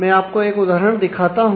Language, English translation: Hindi, So, let me just show you an example